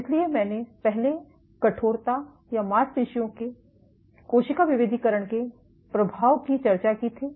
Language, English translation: Hindi, So, I had previously discussed the effect of stiffness or muscle cell differentiation